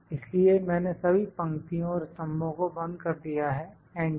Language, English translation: Hindi, So, I have locked all the rows and columns enter